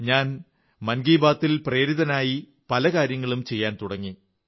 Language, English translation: Malayalam, Taking a cue from Mann Ki Baat, I have embarked upon many initiatives